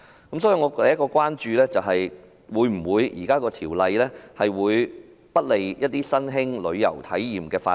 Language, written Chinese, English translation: Cantonese, 所以，我第一項關注的是《條例草案》會否不利新興旅遊體驗的發展。, Thus my first concern is whether the Bill will be unfavourable to the development of new travel experiences